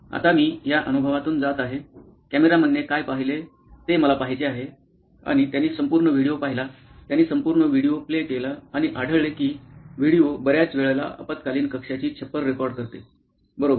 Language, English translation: Marathi, Now that I have gone through this experience, I want to see what the camera saw’ and they saw the whole video, they played the whole video and found that most of the time the video had recorded the roof of the emergency room, okay